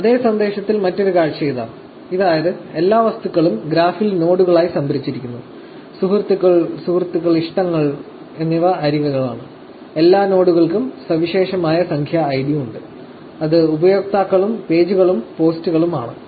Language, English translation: Malayalam, Here is the another view of the same message, which is, all objects are stored as nodes in the graph; connections like friends, friendships, likes are edges and all nodes have a unique numeric ID, which is users, pages and posts